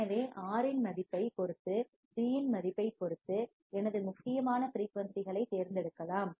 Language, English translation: Tamil, So, depending on the value of R, depending on the value of C, I can select my critical frequency